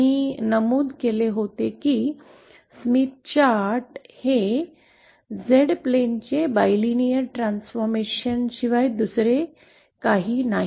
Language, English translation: Marathi, I had mentioned that Smith Chart is nothing but a bilinear transformation, bilinear transformation of Z plane